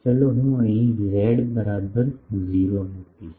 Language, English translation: Gujarati, Let me put z is equal to 0 here